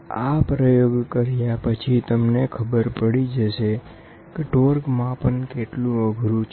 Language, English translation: Gujarati, So, if you do this experiment, you will start appreciating how difficult it is to measure a torque